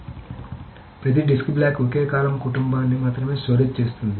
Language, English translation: Telugu, So every disk block stores only a single column family